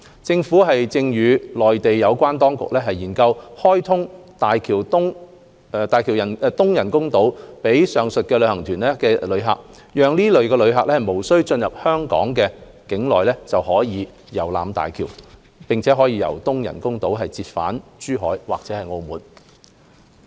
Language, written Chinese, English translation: Cantonese, 政府正與內地有關當局研究開通大橋東人工島予上述旅行團遊客，讓這類旅客無需進入香港特區境內就可遊覽大橋，並從東人工島折返珠海或澳門。, The Government is exploring with relevant Mainland authorities the opening of HZMBs East Artificial Island to the aforementioned group tourists so as to allow such tourists to visit HZMB and return to Zhuhai or Macao from the East Artificial Island without crossing the border of the Hong Kong Special Administrative Region